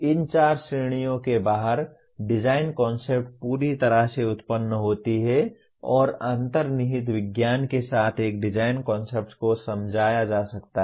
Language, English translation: Hindi, Design concepts are generated completely outside these four categories and a design concept can be explained within/ with the underlying science